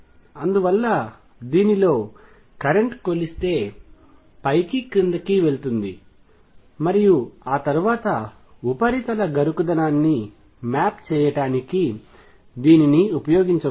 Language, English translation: Telugu, And therefore, the current in this if that is measured would be going up and down and then that can be used to map the roughness of the surface